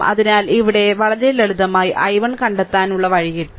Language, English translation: Malayalam, So, this way of you find out very simple here i 1 is equal to right